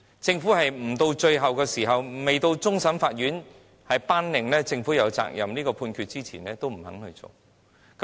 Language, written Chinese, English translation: Cantonese, 政府不到最後一刻，不到終審法院頒令"政府有責任"的判決前都不願做。, It is unfortunate that the Government did not do anything until the last moment when the CFA handed down the judgment stating the Governments obligation